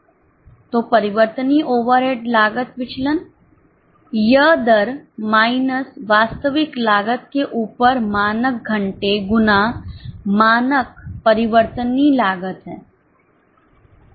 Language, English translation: Hindi, So, variable overhead cost variance, this is standard hours into standard variable over rate minus actual cost